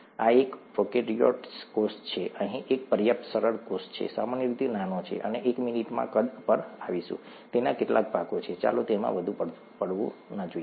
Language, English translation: Gujarati, This is a prokaryotic cell, a simple enough cell here, typically small, we’ll come to sizes in a minute, it has some parts, let’s not get too much into it